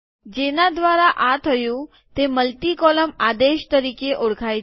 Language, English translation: Gujarati, So this is done with the help of, what is known as multi column command